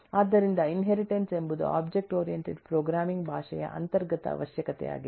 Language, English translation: Kannada, so this inheritance is an inherent requirement of a object oriented programming language